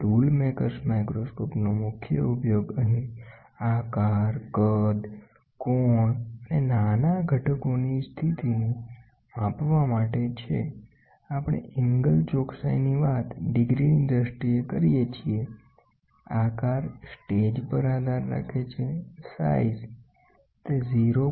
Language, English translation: Gujarati, The main use of tool maker’s microscope is to measure the shape, size, angle and the position of small components here, we talk angle accuracy in terms of degrees, the shape depends on the stage what you travel, size what we talk about is we talk close to 0